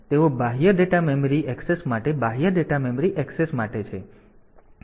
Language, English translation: Gujarati, So, they are for external data memory access for external data memory access